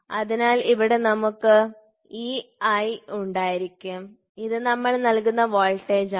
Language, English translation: Malayalam, So, here we will have e i which is an applied voltage